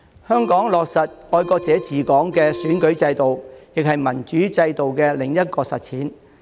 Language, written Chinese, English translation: Cantonese, 香港落實"愛國者治港"的選舉制度，亦是民主制度的另一種實踐。, The implementation in Hong Kong of an electoral system that ensures patriots administering Hong Kong is another way to put a democratic system into practice